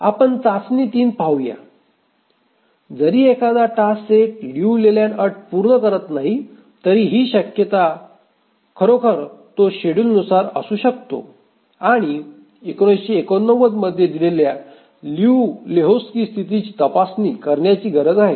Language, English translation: Marathi, Even if a task set doesn't meet the Liu Leyland condition, there is a chance that it may actually be schedulable and we need to check at Liu Lehochki's condition